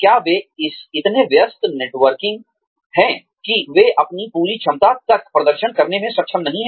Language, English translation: Hindi, Are they, so busy networking, that they are not able to perform, to their full capacity